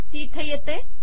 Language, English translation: Marathi, It comes here